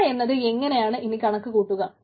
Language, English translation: Malayalam, so penalty is how do i calculate